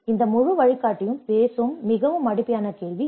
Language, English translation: Tamil, This is a very fundamental question which this whole guide talks about